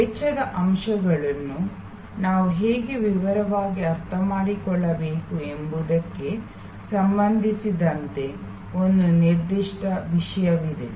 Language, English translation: Kannada, There is one particular issue with respect to how we need to understand the cost elements in detail